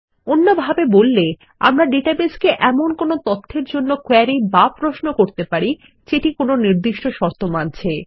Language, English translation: Bengali, In other words, we can query the database for some data that matches a given criteria